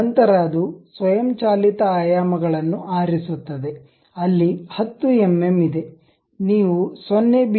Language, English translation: Kannada, Then it picks automatic dimensions where 10 mm you can really give it something like 0